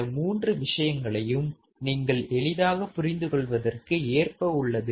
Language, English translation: Tamil, All three things you understand very easy to understand